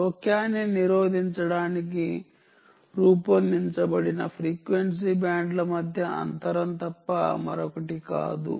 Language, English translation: Telugu, this is nothing but the gap between the ah frequency bands thats designed to prevent interference